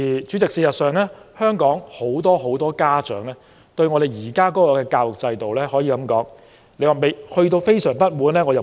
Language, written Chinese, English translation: Cantonese, 主席，事實上，究竟香港是否有很多家長對教育制度感到相當不滿呢？, President are many parents actually feeling very dissatisfied with the education system?